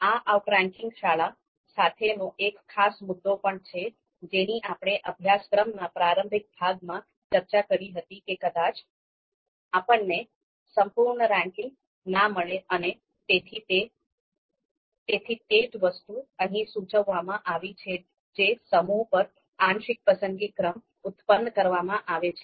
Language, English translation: Gujarati, So this is also a particular you know issue with the outranking school of thought, something that we have talked about in the introductory part of the course that we might not get the you know complete ranking and therefore the same thing is indicated here that produce a partial preference order on a set of alternatives